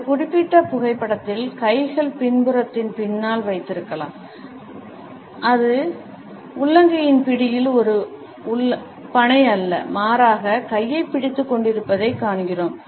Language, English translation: Tamil, In this particular photograph, we find that though the hands are held behind the back still it is not a palm to palm grip rather the hand is holding the arm